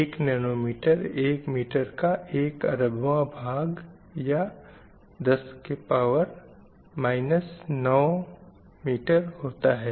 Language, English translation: Hindi, A nanometer is one billionth of a meter